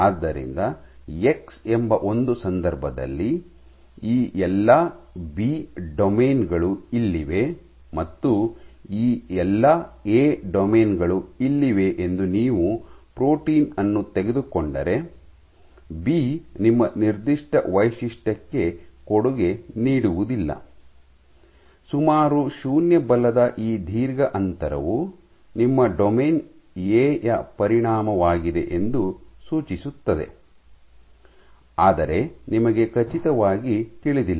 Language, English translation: Kannada, So, if you pick up the protein such that all these B domains are here and all these A domains are here B will not contribute to your signature, suggesting that this long gap of almost 0 force is a consequence of your domain A, but you do not know for sure